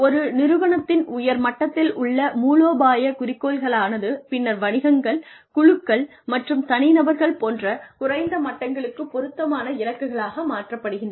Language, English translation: Tamil, Strategic goals at the top level of an organization, and then translated into appropriate goals at lower levels such as business units, teams, and individuals